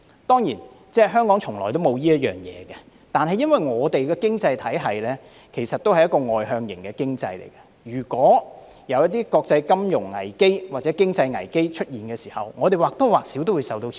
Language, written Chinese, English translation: Cantonese, 當然，香港從來沒有這回事，但我們的經濟體系畢竟是外向型經濟，當一些國際金融危機或經濟危機出現時，我們或多或少也會受到牽連。, Surely there has never been such a system in Hong Kong . Yet our economy after all is externally - oriented . When there is an international financial crisis or economic crisis we will more or less be affected